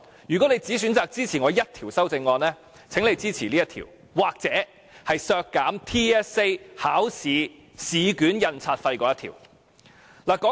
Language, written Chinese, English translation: Cantonese, 如果你只選擇支持我一項修正案，請你支持這一項，或有關削減全港性系統評估考試試卷印刷費的修正案。, If they will only support one of my amendments would they please support this one or the one on slashing the printing cost of the examination papers of the Territory - wide System Assessment